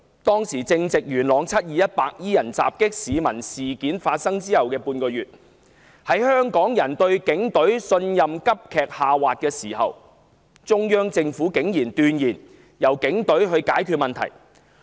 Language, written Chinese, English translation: Cantonese, 當時正值元朗"七二一"白衣人襲擊市民事件發生後的半個月，在香港人對警隊的信任急劇下滑之際，中央政府竟然斷言由警隊解決問題。, At a time when the 21 July incident in which white - clad people attacked members of the public in Yuen Long had happened barely a fortnight ago and Hongkongers trust in the Police Force had plummeted the Central Government actually designated the Police Force to resolve the problems